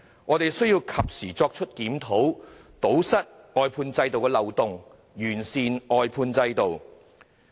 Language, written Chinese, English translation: Cantonese, 我們需要及時作出檢討，堵塞外判制度的漏洞，完善外判制度。, We need to conduct a timely review to plug the loopholes of the outsourcing system to make it perfect